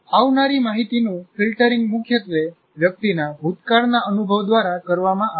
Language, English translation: Gujarati, The filtering of incoming information is dominated, dominantly done by past experience of the individual